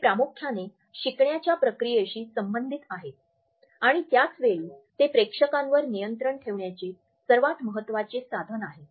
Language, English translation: Marathi, They are related with the learning curve primarily and at the same time they are the most significant tool we have of controlling the audience